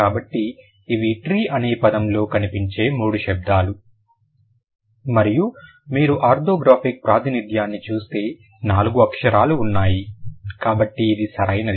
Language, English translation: Telugu, So, these are the three phonyms found in the word tree and if you look at the orthographic representation, so then there are four letters